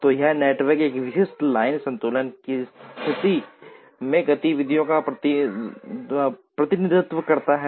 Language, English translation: Hindi, So, this network represents the activities in a typical line balancing situation